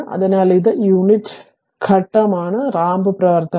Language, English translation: Malayalam, So, this is a unit step, your what you call the ramp function